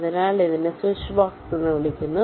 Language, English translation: Malayalam, so this is called a switchbox